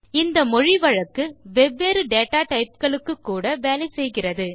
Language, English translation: Tamil, This idiom works for different data types also